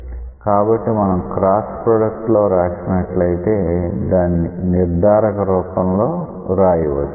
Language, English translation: Telugu, So, when you write this cross product it is possible to write it in a determinant form